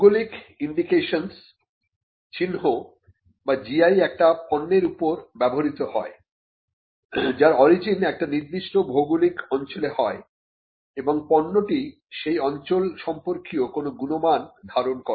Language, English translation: Bengali, A geographical indication or GI is sign used on products that have a specific geographical origin and possess qualities or a reputation that are due to that origin